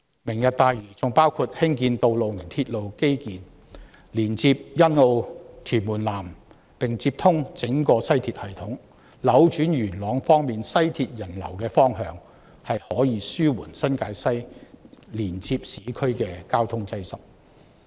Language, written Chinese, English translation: Cantonese, "明日大嶼願景"還包括興建道路及鐵路基建，連接欣澳及屯門南，並接通整個西鐵系統，能夠扭轉在元朗乘坐西鐵線的人流方向，令新界西連接市區的交通擠塞得以紓緩。, The Lantau Tomorrow Vision also encompasses construction of road and railway infrastructure which will connect with Sunny Bay and South Tuen Mun and link to the entire West Rail Line system . It can thus reverse the pedestrian flow of the West Rail Line at Yuen Long Station relieving the congestion of traffic between New Territories West and urban areas